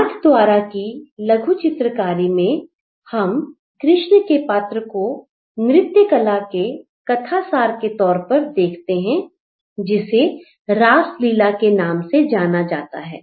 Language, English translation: Hindi, So, in Nathadwara miniature painting we see the character of Krishna in the narrative of a dance performance that is known as Rasalila